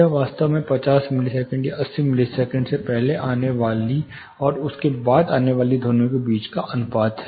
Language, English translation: Hindi, It is actually the ratio between whatever sounds signals arrive before 50 milliseconds or 80 milliseconds, and those which are arriving after that